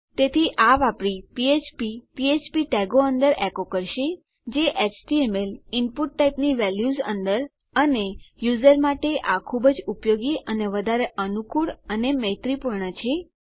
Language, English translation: Gujarati, So using this, your php echo inside php tags, inside the values of your html input type and it so useful and so much more convenient for the user and much more user friendly